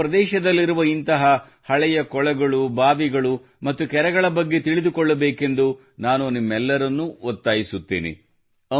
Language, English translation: Kannada, I urge all of you to know about such old ponds, wells and lakes in your area